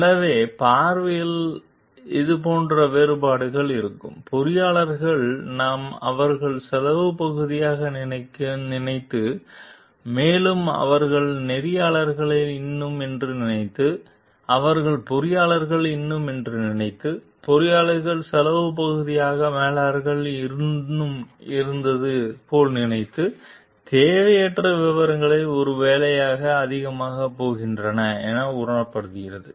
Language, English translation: Tamil, So, this like difference in perception will be there, like the engineers we think like they were more into thinking of the cost part and they were thinking like they are more into engineers, thinking like the managers were more into cost part of the engineers were perceived as going maybe too much into unnecessarily details